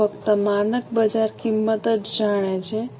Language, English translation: Gujarati, They only know the standard market price